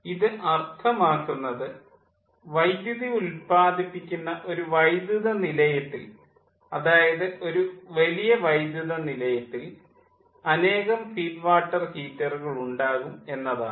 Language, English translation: Malayalam, as i have told, in a utility, in an utility power plant, that means in a power plant which is generating electricity, large power plant there will be number of feed water heater